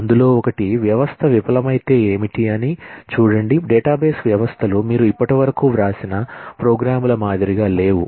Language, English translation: Telugu, One, what if a system fails; see, database systems are unlike the programs that you have written so far